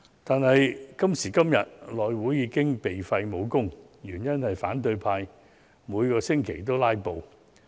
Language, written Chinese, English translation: Cantonese, 不過，今時今日，內務委員會已"被廢武功"，原因是反對派每星期皆在"拉布"。, But today the House Committee has become dysfunctional . The reason is that the opposition camp has resorted to filibustering virtually every week